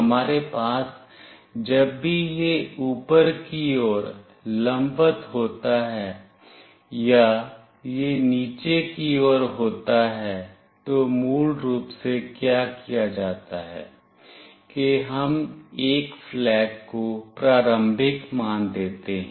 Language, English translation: Hindi, Whenever we have either it is vertically up or it is vertically down, what is basically done is that we are initializing a flag